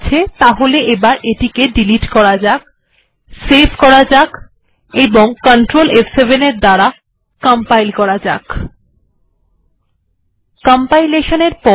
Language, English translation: Bengali, Alright, so what I will do is, let me just delete this, save this, control f7, compiled